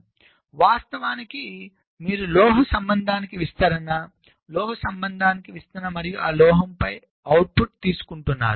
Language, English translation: Telugu, so actually you are doing a diffusion to metal contact, diffusion to metal contact and taking the output on metal